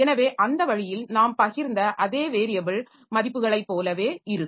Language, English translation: Tamil, So, that way we can have the say the variable and the values shared